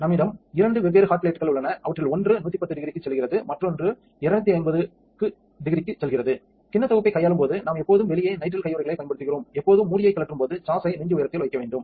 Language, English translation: Tamil, We have two different hot plates we have one that goes to 110 degrees and one that goes to 250 degrees, when handling the bowl set we always use nitrile gloves on the outside, take off the lid always have have the sash at chest height